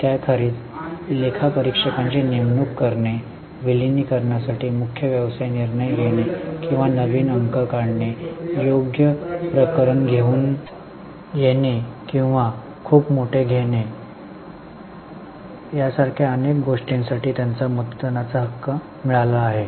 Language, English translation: Marathi, Apart from that, they have got voting right for doing several things like appointing auditors, like taking major business decisions for merger submergamation or for making fresh issue, for coming out with right issue or for for taking a very large quantum of loan